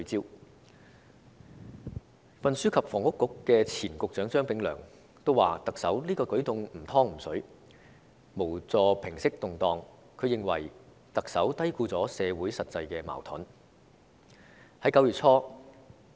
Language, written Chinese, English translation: Cantonese, 前運輸及房屋局局長張炳良也說特首這樣的舉動"唔湯唔水"，無助平息動盪，他認為特首低估了社會的實際矛盾。, Former Secretary for Transport and Housing Prof Anthony CHEUNG said this move by the Chief Executive is neither fish nor fowl not helpful to stopping the disturbances . He thought the Chief Executive has underestimated the substantive conflicts in society